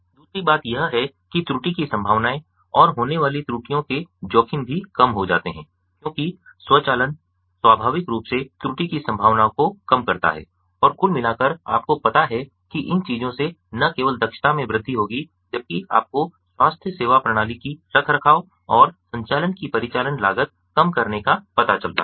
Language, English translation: Hindi, the risks of errors occurring also get reduced because automation inherently basically reduces the chances of error and that overall, you know these things would overall increase the efficiency while reducing the cost of operation cost of, ah, you know, maintenance and operation of a of healthcare system